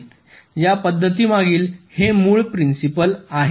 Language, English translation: Marathi, this is the basic principle behind this method